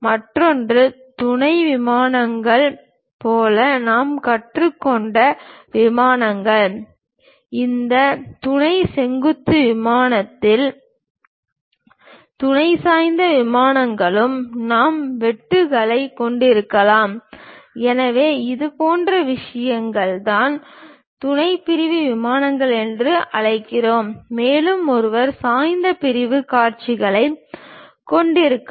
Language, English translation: Tamil, The other one is the planes what we have learned like auxiliary planes; on these auxiliary vertical plane, auxiliary inclined planes also we can have cuts; so, such kind of things are what we call auxiliary section planes and also one can have oblique sectional views also